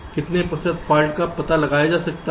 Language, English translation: Hindi, how may percentage of faults ah getting detected